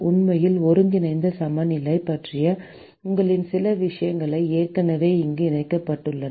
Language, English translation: Tamil, And in fact, some of your things about the integral balance is already incorporated here